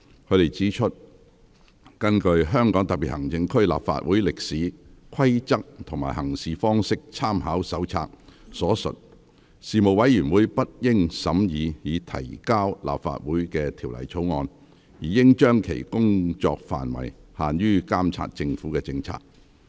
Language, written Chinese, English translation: Cantonese, 他們指出，根據《香港特別行政區立法會歷史、規則及行事方式參考手冊》所述，事務委員會不應審議已提交立法會的《條例草案》，而應將其工作範圍限於監察政府政策。, Citing A Companion to the history rules and practice of the Legislative Council of the Hong Kong Special Administrative Region they pointed out that the Panel should not scrutinize the Bill after its presentation to the Council since the ambit of the Panel should be limited to the monitoring of government policies